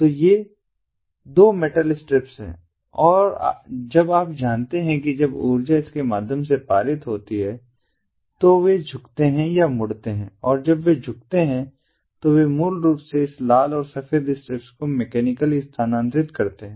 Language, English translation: Hindi, so these are these are the two metal strips and when, ah, um, you know, when the energy is passed through it, they bend, and when they bend they basically move this red and white strip mechanically